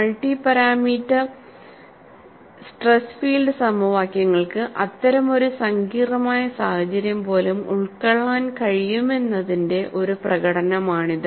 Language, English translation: Malayalam, And it is a demonstration, that the multi parameters stress field equations are able to capture even such a complex situation